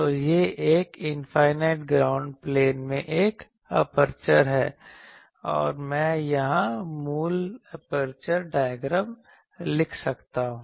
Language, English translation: Hindi, So, it is an aperture in an infinite ground plane and I can write here the basic aperture diagram